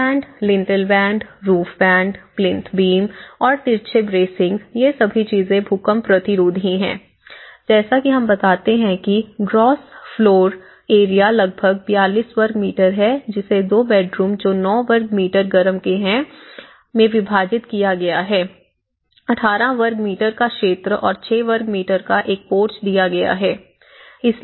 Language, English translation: Hindi, The sill band, the lintel band, the roof band and the plinth beam and the diagonal bracing all these things they are talking about the earthquake resistant futures and as we inform the gross floor area is about 42 square meters divided into 2 bedrooms 9 square meter each and a common area of 18 square meter and a porch of 6 square meter